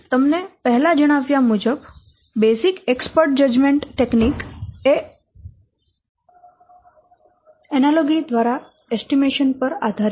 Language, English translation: Gujarati, As I have already told you this basic judgment technique is basic export judgment techniques based on the estimation by analogy